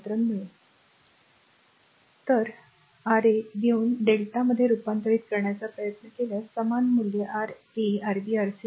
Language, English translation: Marathi, So, taking R 1 R 2 R 3 star try to convert to delta, same value will get Ra Rb Rc right